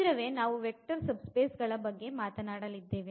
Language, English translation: Kannada, So, we will be talking about that soon that what are these vector subspaces